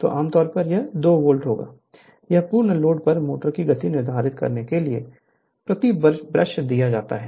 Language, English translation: Hindi, So generally, it will be total will be 2 volt right, it is given per brush determine the speed of the motor at full load